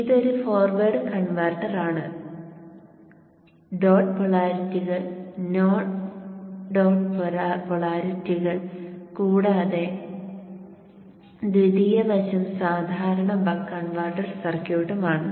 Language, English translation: Malayalam, This is a forward converter, the dot polarities, note the dot polarities and also see that the secondary side is the typical buck converter circuit